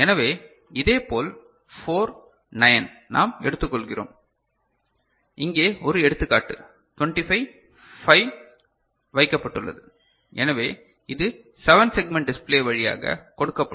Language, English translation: Tamil, So, similarly 4, 9, we take up just say, one example over here say 25 5 has been put; so, in this line